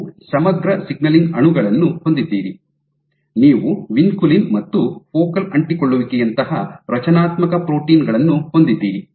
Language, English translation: Kannada, So, you have integrated, you have integrin signaling molecules, you have structural proteins like vinculin and you have in these focal adhesions